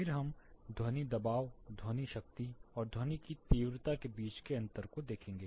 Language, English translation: Hindi, Then we will look at the difference between sound pressure, sound power and sound intensity